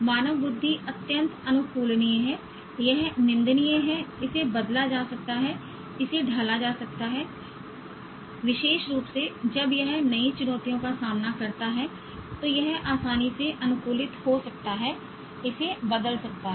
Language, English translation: Hindi, Human intelligence is highly adaptable, it's malleable, it can be changed, it can be molded, especially when it is confronted with new challenges, it can easily adapt, it can change